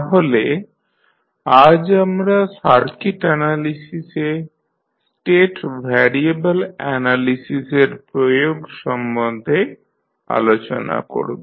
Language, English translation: Bengali, So, today we will discuss about the application of state variable analysis in the circuit analysis